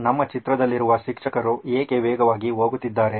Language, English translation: Kannada, Why is the teacher in our picture going very fast